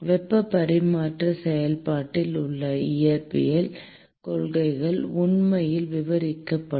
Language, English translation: Tamil, The physical principles involved in the heat transfer process will actually be described